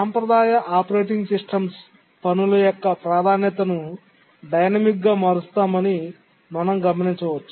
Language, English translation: Telugu, but as you will see that the traditional operating systems change the priority of tasks dynamically